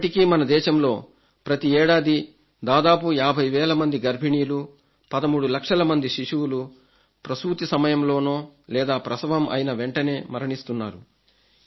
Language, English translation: Telugu, And it is true that in our country about 50,000 mothers and almost 13 lakh children die during delivery or immediately after it every year